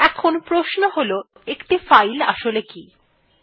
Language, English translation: Bengali, Now the question is what is a file